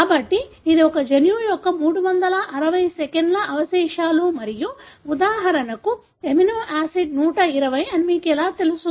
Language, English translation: Telugu, So how do you know that this is the three hundred and sixty second residue of a gene and this is for example, the amino acid one hundred and twenty first